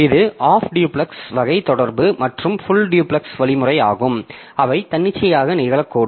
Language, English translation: Tamil, So, that is the half duplex type of communication and full duplex means so they can be occurring arbitrarily